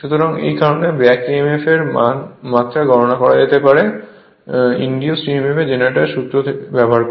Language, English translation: Bengali, So, that is why the magnitude of back emf can be calculated by using formula for the induced emf generator